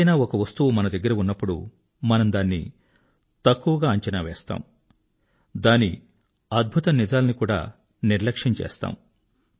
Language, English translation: Telugu, When something is in close proximity of us, we tend to underestimate its importance; we ignore even amazing facts about it